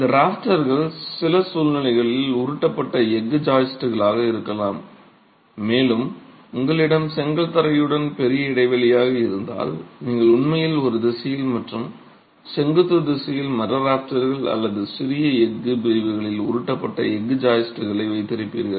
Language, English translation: Tamil, These rafters may be roll steel joists in some situations and if you have larger spans that have to be spanned with the brick flow you would actually have roll steel joists in one direction and in the orthogonal direction timber rafters or smaller steel sections